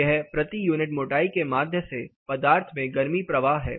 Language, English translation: Hindi, It is heat flow through a material per unit thickness